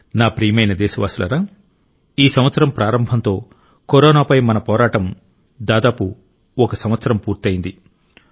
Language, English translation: Telugu, the beginning of this year marks the completion of almost one year of our battle against Corona